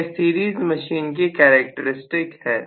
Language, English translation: Hindi, So, this is series machine’s characteristics